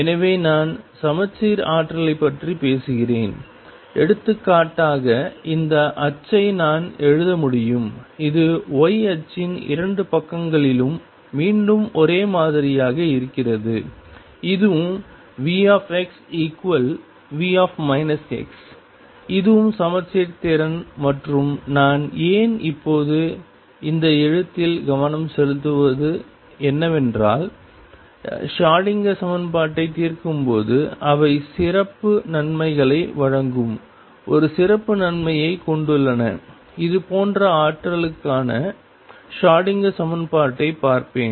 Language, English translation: Tamil, So, I am talking about symmetric potentials, for example, I could write this potential which is again the same on 2 of sides the y axis, this is also V x equals V minus x, this is also symmetric potential and why I am focusing on these write now is that they have a special advantage they provide special advantage while solving the Schrodinger equation let me look at the Schrodinger equation for such potentials